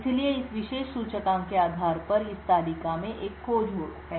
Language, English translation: Hindi, So, there is a lookup in this table based on this particular index